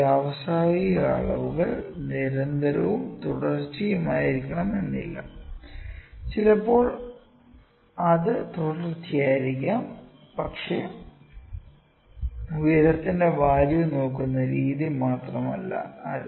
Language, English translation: Malayalam, Sometimes what happens in a industrial measurements the measurements are not continuous and not continuous sometime it can be continuous but it is not just the way we look at the height length